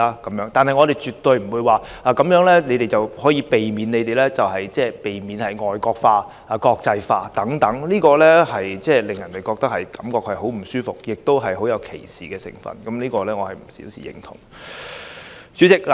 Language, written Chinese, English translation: Cantonese, 但是，我們絕對不會說這樣便可避免他們令香港"外國化"、"國際化"，這實在令人感覺很不舒服，亦帶有歧視成分，是我不能表示認同的一點。, However they would certainly not say that this should be done to safeguard Hong Kong from foreignization or internationalization . I cannot agree with such remarks which are of a discriminatory nature and which have indeed made people feel very uncomfortable